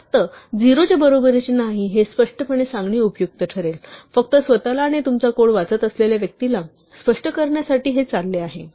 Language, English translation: Marathi, It might be useful to just say explicitly not equal to 0, just to illustrate to yourself and to the person reading your code what is going on